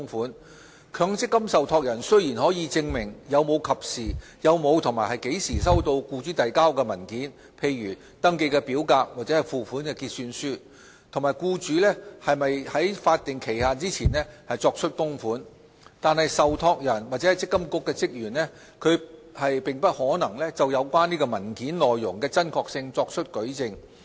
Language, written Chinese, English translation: Cantonese, 儘管強積金受託人可證明有否及何時收到僱主遞交的文件，例如登記表格或付款結算書，以及僱主有否在法定期限前作出供款，但由於受託人或積金局職員對有關資料不具有親身認識，因而無法就有關文件內容的真確性作出舉證......, While MPF trustees can establish whether and when the employer has submitted such documents as the enrolment form and the remittance statement and whether the employer has made contribution by the statutory deadline neither the trustee nor MPFA staff can testify on the authenticity of the contents of relevant documents due to their lack of personal knowledge on the relevant information